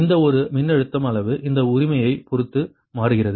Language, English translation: Tamil, this thing changes in this one voltage magnitude right with respect to that right